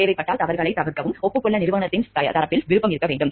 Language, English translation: Tamil, There should be willingness on the part of the management to admit mistakes publicly if necessary